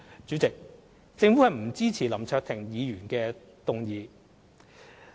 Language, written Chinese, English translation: Cantonese, 主席，政府不支持林卓廷議員的議案。, President the Administration does not support Mr LAM Cheuk - tings motion